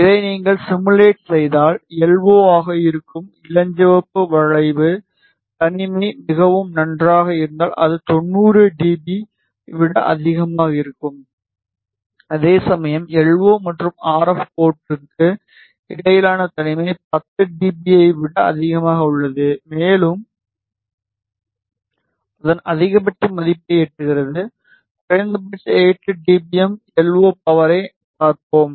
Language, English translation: Tamil, If you simulate this, you see that the pink curve which is LO If isolation is quite good which is greater than 90 dB; whereas, a the isolation between LO and RF port is greater than 10 dB and it attains its maximum value at let us have a look minimum again 8 dBm LO power